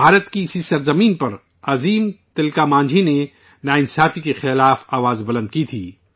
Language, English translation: Urdu, It was on this very land of India that the great Tilka Manjhi sounded the trumpet against injustice